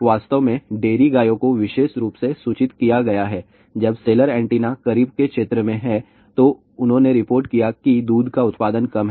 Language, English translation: Hindi, In fact, of dairy cows have been reported specially, when the cellar antenna is within the close vicinity that they have reported that there is an decreased milk production